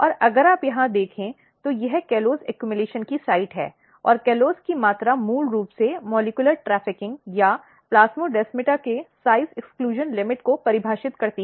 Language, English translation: Hindi, And if you look here, this is the site of callose accumulation and callose the amount of callose basically defines the, the, the molecular trafficking or the size exclusion limit of the plasmodesmata